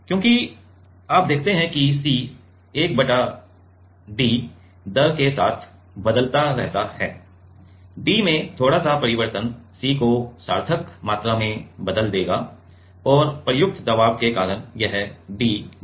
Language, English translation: Hindi, Because you see c varies with one by d, right and little bit of change in d will change the C by significant amount and this d will change, because of the applied pressure